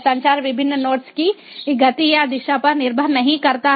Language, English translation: Hindi, the communication does not depend on the speed or direction of the different nodes